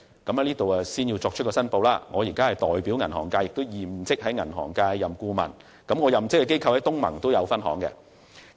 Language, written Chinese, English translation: Cantonese, 我要在此作出申報，作為銀行界的代表，我現職銀行顧問，而我任職的機構在東盟也有開設分行。, As a representative of the banking sector I am currently a bank adviser and the bank I work for has also opened branches in the Association of Southeast Asian Nations ASEAN